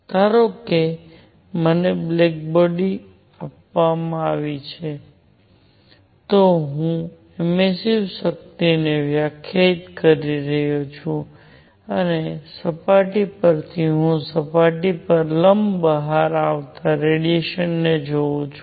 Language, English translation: Gujarati, Suppose I am given a body, I am defining emissive power and from a surface I look at the radiation coming out perpendicular to the surface